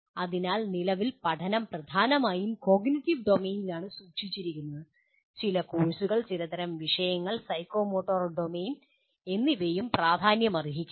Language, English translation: Malayalam, So at present the learning is dominantly is kept at cognitive domain and some courses, some type of topics, psychomotor domain may also become important